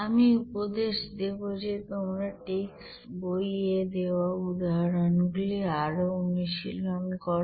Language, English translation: Bengali, I would suggest you to go further to practice with some examples given in the textbooks